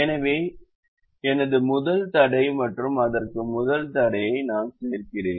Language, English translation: Tamil, so this is my first constraint and i add the first constraint to it